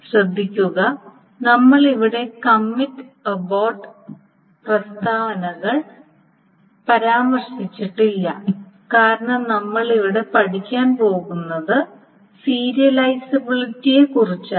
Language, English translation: Malayalam, Now also note that we have not mentioned here the commit and about statements because what we are going to study here is about serializability